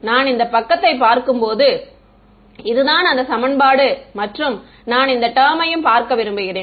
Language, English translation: Tamil, When I look at this side ok so, this is the equation and I want to look at this term ok